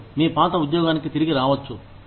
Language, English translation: Telugu, You can come back to your old job